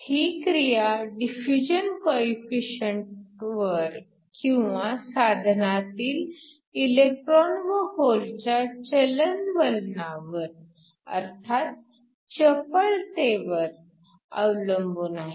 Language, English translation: Marathi, It depends upon the diffusion coefficient or the mobility of the electrons and holes in the device